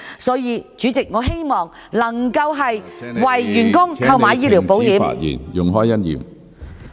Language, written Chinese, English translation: Cantonese, 所以，主席，我希望政府能夠為員工購買醫療保險。, For that reason President I hope the Government can buy medical insurance for its employees